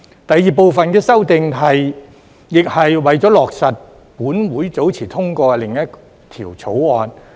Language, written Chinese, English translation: Cantonese, 第二部分的修訂亦是為了落實本會早前通過的另一項法案。, The second group of amendments seeks to implement another bill passed by the Legislative Council earlier